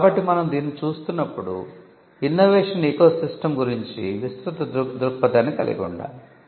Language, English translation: Telugu, So, when we are looking at this, we have to have a broader view of the innovation ecosystem